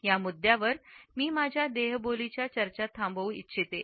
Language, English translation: Marathi, I would end my discussion of these aspects of body language at this point